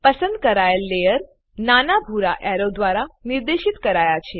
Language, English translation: Gujarati, Layer selected is pointed by small blue arrow